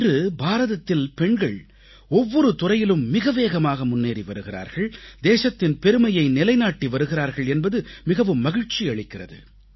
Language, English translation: Tamil, It's a matter of joy that women in India are taking rapid strides of advancement in all fields, bringing glory to the Nation